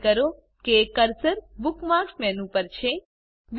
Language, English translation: Gujarati, * Ensure that the cursor is over the Bookmarks menu